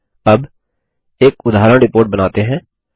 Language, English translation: Hindi, Okay, now, let us create a sample report